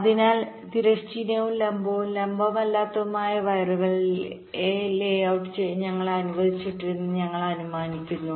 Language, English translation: Malayalam, so we are assuming that we are allowed to layout the wires which are non horizontal and vertical, non vertical also